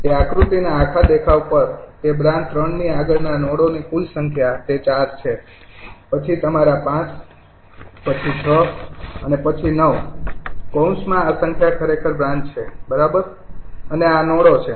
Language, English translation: Gujarati, the total number of nodes beyond branch three is that is four, then your five, then six and then nine in the bracket this number actually branches right and these are the node